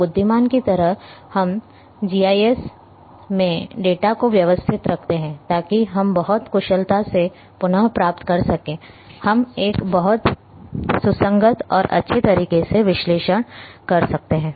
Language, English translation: Hindi, So, like wise we keep organized the data in a fashion in GIS in a manner, so that we can retrieve very efficiently we can analysis in a very coherent and nice manner